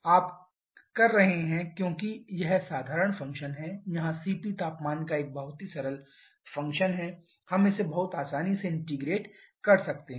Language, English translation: Hindi, You are doing because this is simple function here CP is a very simple function of temperature we can integrate this one very easily